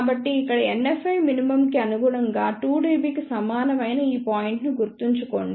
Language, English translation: Telugu, So, just recall this point here corresponds to NF min which is equal to 2 dB